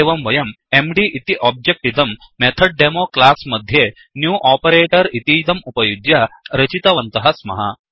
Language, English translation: Sanskrit, So we have created an object mdof the class MethodDemo using the New operator